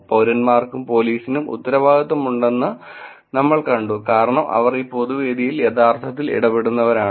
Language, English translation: Malayalam, Of course, we saw that both citizens and police are actually accountable because they are actually interacting on this public forum